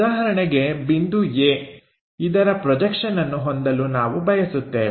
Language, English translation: Kannada, For example, point A we are interested in having projection